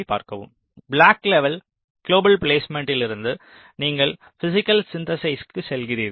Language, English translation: Tamil, then from block level global placement you move to physical synthesis